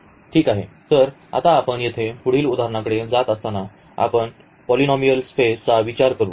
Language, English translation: Marathi, Well, so, now going to the next example here we will consider the polynomial space